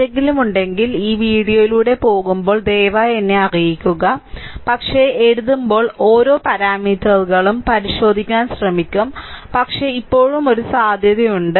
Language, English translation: Malayalam, If it is anything is there, you just ah when you will go through this video, you please inform me sir, there it is a there is a error, but hope trying to look into every trying to look into each and every parameter there writing, but still there may be a probability